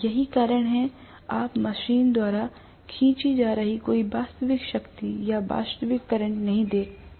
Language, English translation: Hindi, That is why you are not seeing any real power or real current being drawn by the machine